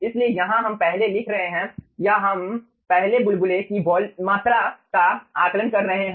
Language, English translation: Hindi, so here we are: ah writing first ah, or we assessing first the volume of the bubble